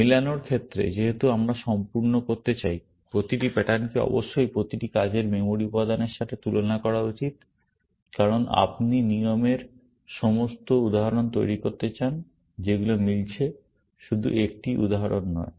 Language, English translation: Bengali, In the match phase, because we want to be complete; every pattern must be compared with every working memory element, because you want to produce all instances of rules which are matching; not just one instance